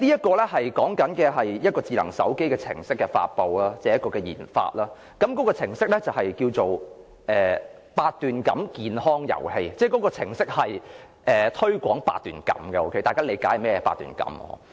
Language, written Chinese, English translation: Cantonese, 該項目計劃書與智能手機程式的研發有關，項目程式名為"八段錦健康遊戲"，我記得該程式是推廣八段錦的——大家應理解甚麼是八段錦。, The said project titled Baduanjin Health Programme Game is related to research and development of a smartphone app . I can recall that the app is to promote Baduanjin―you should know what Baduanjin is